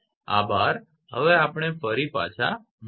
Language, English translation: Gujarati, Thank you we will be back again